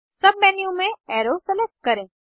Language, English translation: Hindi, In the submenu, select Arrow